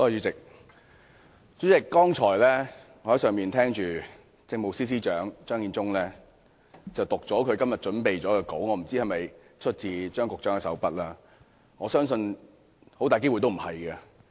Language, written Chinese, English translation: Cantonese, 主席，我剛才在樓上聽政務司司長張建宗讀出今天預備的發言稿，我不知道那是否出自張司長的手筆，但我相信很大機會不是。, President just now when Chief Secretary for Administration Matthew CHEUNG read out his scripted speech for todays meeting I was upstairs listening . I wonder whether the speech was prepared by Chief Secretary Matthew CHEUNG himself but I believe it is highly unlikely